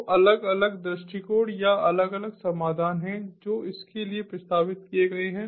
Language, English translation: Hindi, so there are different approaches or different solutions that have been proposed for it